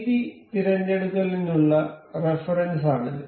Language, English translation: Malayalam, This is the reference for the width selections